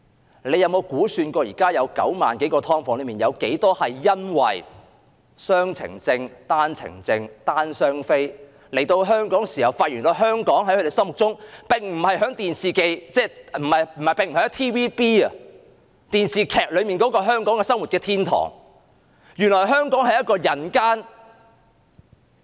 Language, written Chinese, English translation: Cantonese, 政府有否計算現時9萬多個"劏房"中，有多少是因為雙程證、單程證、"單/雙非"來港後，發現原來香港並不如他們心目中所想，也不如 TVB 電視劇所看到般是一個生活天堂，而是一個人間煉獄。, They may have come to Hong Kong on two - way permits or one - way permits or that one of the parents or both parents in these families are not Hong Kong permanent residents . How many of them have found lives in Hong Kong not as they expected? . How many of them have found lives here not like living in paradise as depicted in the dramas of TVB but actually in the purgatory?